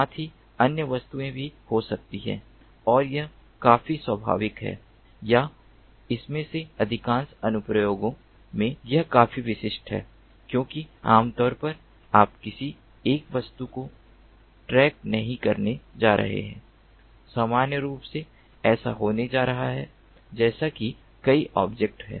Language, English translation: Hindi, there could be other objects as well, and this is quite natural, or this is quite typical in most of these applications, because normally you are not going to track a single object